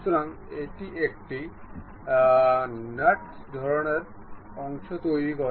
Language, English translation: Bengali, So, it creates a nut kind of a portion